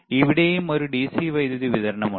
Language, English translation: Malayalam, And here also is a DC power supply